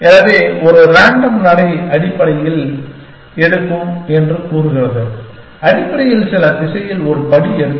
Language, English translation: Tamil, So, a random walk basically just takes says that, just take one step in some direction essentially